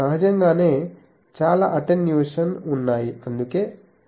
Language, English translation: Telugu, Obviously, there are lot of attenuation that is why the range is limited